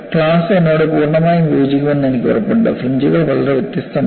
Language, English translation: Malayalam, I am sure the class would entirely agree with me that, the fringes are so different